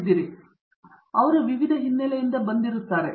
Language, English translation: Kannada, So they come from various backgrounds different types of training that they have had and so on